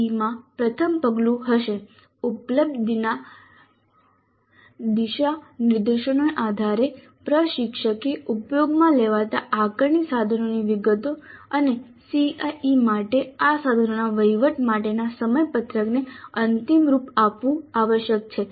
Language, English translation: Gujarati, So, the first step in CIE would be based on the available guidelines the instructor must finalize the details of the assessment instruments to be used and the schedule for administering these instruments for CIE